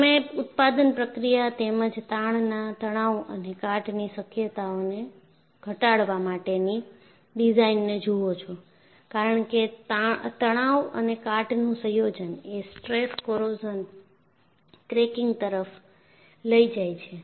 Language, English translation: Gujarati, So, you look at the manufacturing process, as well as the design to reduce the tensile stresses and chances for corrosion, because the combination of stresses and corrosion will lead to stress corrosion cracking